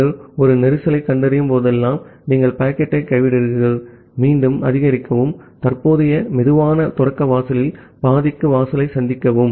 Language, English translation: Tamil, Whenever you are detecting a congestion, you drop the packet, again increase and meet the threshold to half of the current slow start threshold